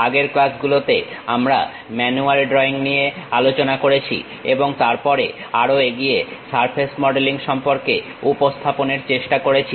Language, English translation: Bengali, In the earlier classes, we have covered manual drawing, and also then went ahead try to introduce about surface modeling